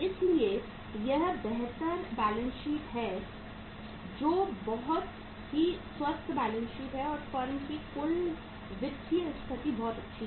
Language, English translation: Hindi, So this is the superior balance sheet uh say very healthy balance sheet and the firm’s overall financial position is very very good